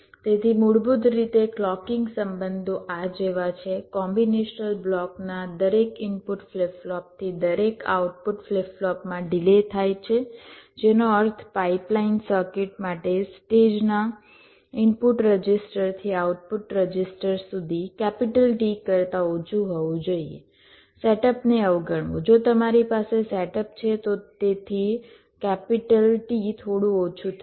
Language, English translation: Gujarati, ok, so basically the clocking relationships are like this: delay from each input flip flop to each output flip flop of combinational block, which means for a pipelines circuit, the input register to the output register of a stage should be less than t, ignoring set up